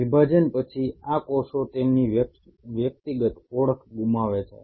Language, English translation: Gujarati, After division, these cells lose their individual identity